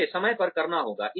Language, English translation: Hindi, It has to be timely